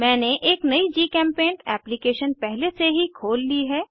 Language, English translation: Hindi, I have already opened a new GChemPaint application